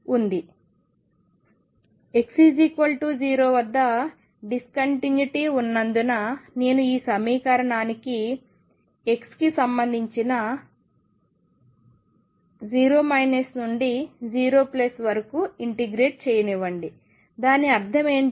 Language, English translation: Telugu, Since the discontinuity is at x equals 0, let me integrate this equation with respect to x from 0 minus to 0 plus what does that mean